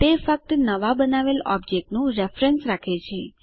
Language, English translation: Gujarati, It only holds the reference of the new object created